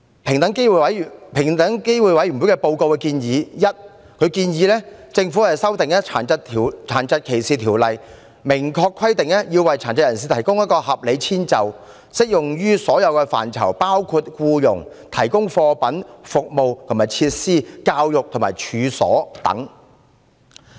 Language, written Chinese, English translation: Cantonese, 平機會報告建議，政府應修訂《殘疾歧視條例》，明確規定要為殘疾人士提供合理遷就，適用於所有範疇，包括僱傭；提供貨品、服務及設施；教育和處所等。, The report of EOC recommends the Government to amend the Disability Discrimination Ordinance DDO to clearly require the making of reasonable accommodation for persons with disabilities in the fields of employment; the provision of goods services or facilities; education; disposal or management of premises etc